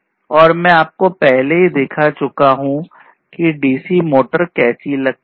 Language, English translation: Hindi, And I already show you showed you live the how a dc motor looks like